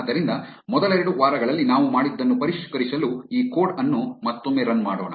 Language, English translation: Kannada, So, let us run this code again just to revise what we did in the first couple of weeks